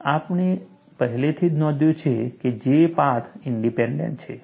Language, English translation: Gujarati, And we have already noted that, J is path independent